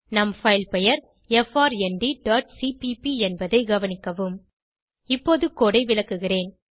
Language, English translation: Tamil, Note that our filename is frnd.cpp Let me explain the code now